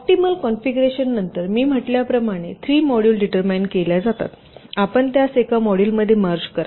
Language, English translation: Marathi, so after the optimal configuration for the three modules are determined, as i said, you merge them into a single module